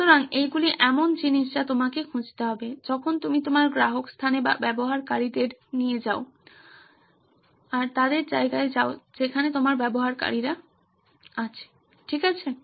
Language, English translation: Bengali, So these are things that you need to be looking for when you go to your customer place or users place where your user is okay